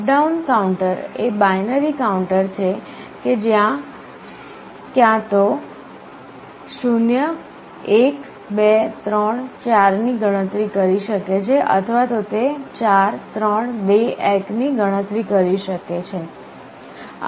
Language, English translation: Gujarati, Up/down counter is a binary counter which can either count up 0, 1, 2, 3, 4 or it can count down 4, 3, 2, 1